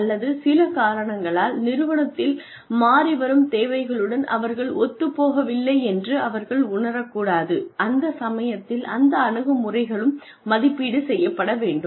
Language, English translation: Tamil, Or, for some reason, they may not feel, , they may not be, in tune with the requirements of the, the changing requirements of the organization, at which point, those attitudes, will also need to be assessed